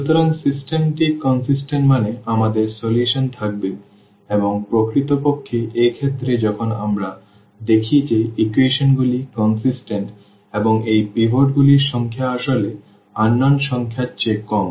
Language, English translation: Bengali, So, the system is consistent means we will have solutions and in the indeed in this case when we see that the equations are consistent and this number of pivots are less than actually the number of unknowns